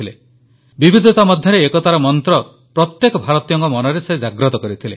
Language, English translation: Odia, He was invoking the mantra of 'unity in diversity' in the mind of every Indian